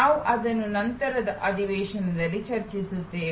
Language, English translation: Kannada, We will discuss that at a subsequent session